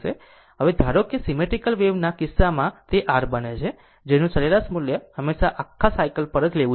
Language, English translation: Gujarati, So, next is that suppose in the case of unsymmetrical wave form the the your what you call the average value must always be taken over the whole cycle